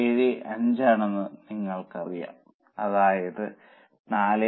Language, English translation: Malayalam, 875 minus 8, it should be 7